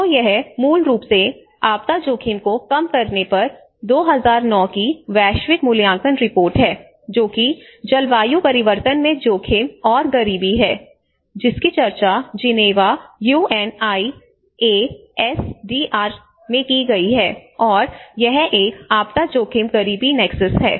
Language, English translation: Hindi, So this is the basically the 2009 global assessment report on disaster risk reduction, which is risk and poverty in climate change which has been discussed in Geneva UNISDR and this is a disaster risk poverty nexus